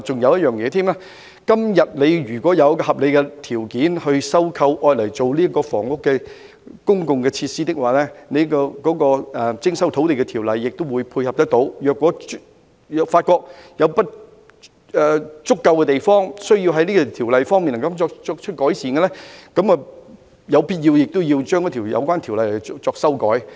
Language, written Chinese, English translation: Cantonese, 如果政府以合理條件徵收土地作公共設施，亦有徵收土地的條例可作配合，如果發覺有不足的地方，需要就條例作出改善，亦有必要就有關條例作修改。, If the Government resumes land for public facilities on reasonable terms there are applicable Ordinances on land resumption . If deficiencies are found and improvements to the Ordinances concerned are necessary legislative amendments are also obligatory